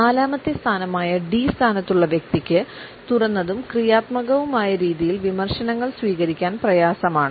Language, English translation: Malayalam, The person who is opted for the forth position named as D would find it difficult to accept criticism in an open and constructive manner